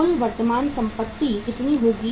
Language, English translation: Hindi, Total current assets will be how much